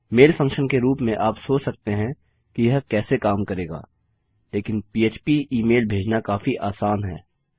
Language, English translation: Hindi, As a mail function you may think how that would work but sending email php is quiet easy